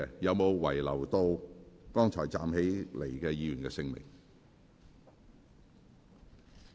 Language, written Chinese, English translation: Cantonese, 有沒有遺漏剛才站立的議員的姓名？, Do I miss any names of those Members who just stood up?